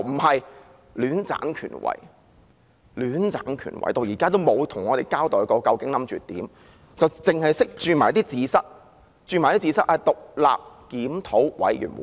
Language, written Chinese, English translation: Cantonese, 可是，她卻戀棧權位，直至現時也沒有向我們交代究竟打算怎樣做，只懂得"捉字蚤"，說會成立獨立檢討委員會。, However she clings to her official post and has not given us so far an account of what exactly she has planned to do . She is only capable of playing with words saying that an independent review committee will be set up